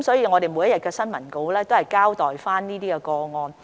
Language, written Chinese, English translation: Cantonese, 我們每天的新聞公告會交代有關個案。, Our daily press release will provide details on such cases